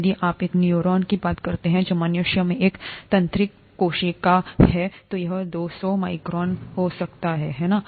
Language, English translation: Hindi, If you talk of a neuron, which is a neural cell in humans, that could be two hundred microns, right